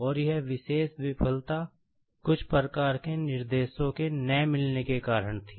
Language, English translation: Hindi, And, that particular failure was due to some sorts of mismatch of the specifications